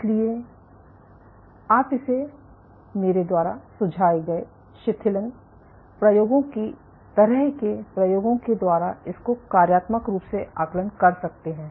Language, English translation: Hindi, So, you can assess it functionally using experiments like the relaxation experiments that I suggested